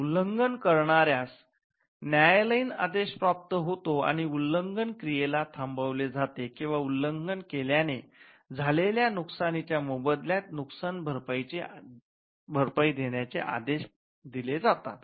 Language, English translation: Marathi, The relief of infringement can be injunction getting a court order against the infringer and stopping the activities the infringing activities or it could also be damages pertains to compensation in lieu of the loss suffered by the infringement